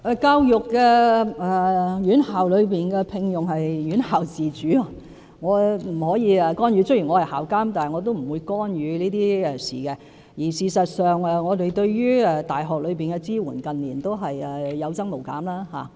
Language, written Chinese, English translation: Cantonese, 教育院校的聘用事宜是院校自主的，我不可以干預，雖然我是校監，但我不會干預這些事情，而事實上，我們對大學的支援近年是有增無減的。, Matters relating to employment in education institutions fall under the autonomy of the institutions and I cannot interfere with them . Although I am their Chancellor I will not interfere with these matters . In fact our support for universities in recent years has increased rather than decreased